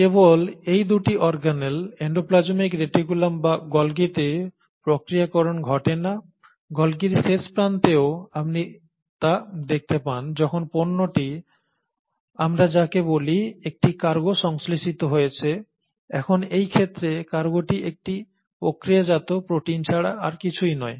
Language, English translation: Bengali, Not only does the processing happen in these 2 organelles, the endoplasmic reticulum and the Golgi, at the terminal end of the Golgi you start observing that once a product, which is what we call as let us say a cargo has been synthesised, now in this case the cargo is nothing but the protein and a processed protein